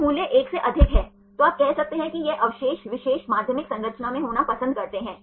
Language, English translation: Hindi, So, the value is more than 1, then you can say that this residue prefers to be in the particular secondary structure